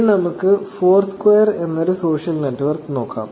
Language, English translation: Malayalam, So, now, let us look at a social network called Foursquare